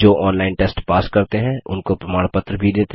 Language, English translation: Hindi, We also give certificates to those who pass an online test